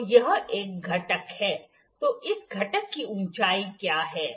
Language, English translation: Hindi, So, this is one component, so what is the height of this component